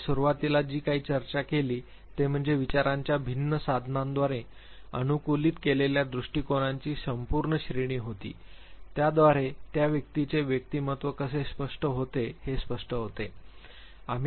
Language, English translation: Marathi, What we discussed initially was the full range of approaches that has been adapted by difference tools of thoughts, how they explain the personality of the individual emerges